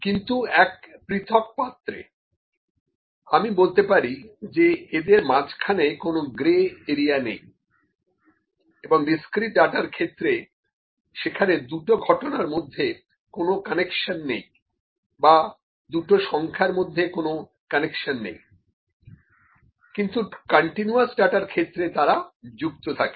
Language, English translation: Bengali, But in the distinct bins, I could say there is no grey area in between there is no connection between the 2 events or 2 values here in the discrete and continuous they are connected